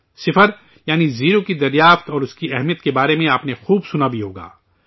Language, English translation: Urdu, You must have heard a lot about zero, that is, the discovery of zero and its importance